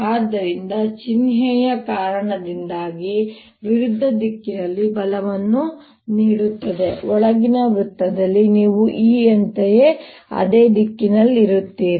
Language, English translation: Kannada, so because of the minus sign, will give a force in the opposite direction on the inner circle you will be in the same direction as the e because of this electric field